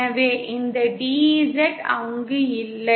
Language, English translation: Tamil, So this DZ is not there